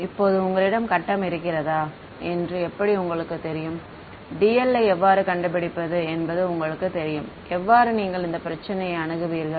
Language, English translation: Tamil, Now how do you know whether you have grid this you know whether how find should be make dl, how would you approach this problem